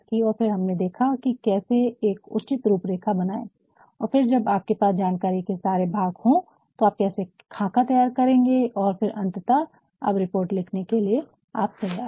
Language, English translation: Hindi, And, then we I have also talked about how to provide a proper layout to the report and then when you have all the pieces of information, how you will outline and then finally, now I think you are ready to write the report